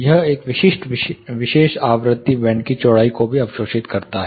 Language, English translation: Hindi, This also absorbs at a specific particular frequency band width